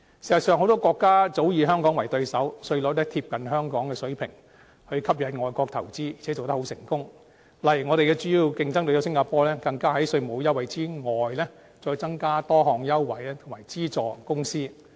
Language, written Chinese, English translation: Cantonese, 事實上，很多國家早以香港為對手，稅率貼近香港的水平，以吸引外國投資，而且做得很成功，例如我們主要的競爭對手新加坡，更在稅務優惠之外，增加多項優惠及資助公司。, In fact may countries have long been regarding Hong Kong as their competitor . In order to attract foreign investment their tax rates are being adjusted on a par with the level of Hong Kong and they are very successful in this regard . For instance our main competitor Singapore has even offered many preferential conditions and subsidies to the companies in addition to tax concessions